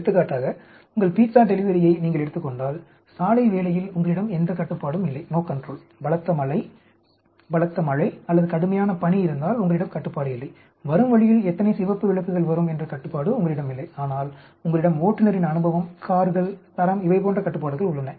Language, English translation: Tamil, For example, if you take your pizza delivery the road work you have no control, if there is a heavy rain or heavy snow you have no control, the number of red lights coming on the way you have no control but you have control like the driver’s experience, the cars, quality all these you have control, right